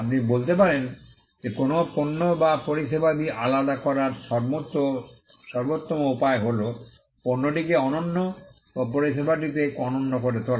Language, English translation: Bengali, You may say that, the best way to distinguish a product or a service is by making the product unique or the service unique